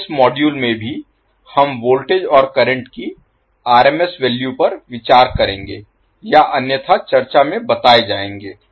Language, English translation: Hindi, So, in this module also the voltage and current we will consider in RMS values or otherwise stated in the particular discussion